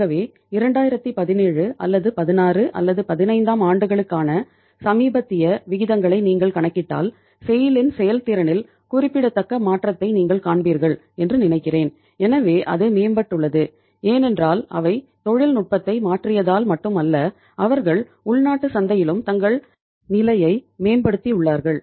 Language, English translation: Tamil, So over a period of time if you calculate the recent ratios for 2017 or 16 or 15 I think you would see that remarkable change in the performance of SAIL so it has improved because not they have uh changed the technology also so they are say improving their position in the domestic market also